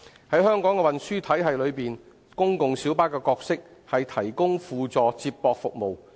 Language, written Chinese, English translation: Cantonese, 在香港的運輸體系內，公共小巴的角色，是提供輔助接駁服務。, In the transport system of Hong Kong the role of PLBs is to provide supplementary feeder service